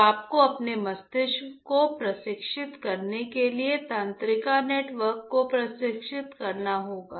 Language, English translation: Hindi, So, the you have to train your brain you have to train the neural network